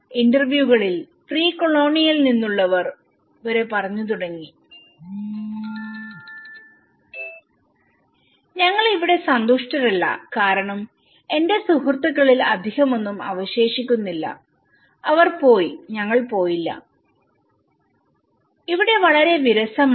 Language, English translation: Malayalam, In the interviews, many of the people even from the pre colonial side they started saying we are not happy here because none much of my friends they are left and we are not, itÃs very boring here